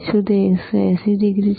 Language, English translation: Gujarati, Ist its 180 degree